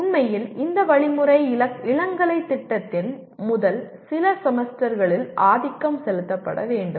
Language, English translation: Tamil, In fact this instruction should be given dominantly in the first few semesters of a undergraduate program